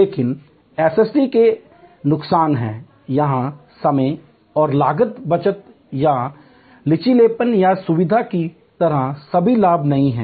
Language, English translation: Hindi, But, there are disadvantages of SST it is not all advantage like time and cost saving or flexibility or convenience